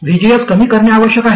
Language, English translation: Marathi, VGS must reduce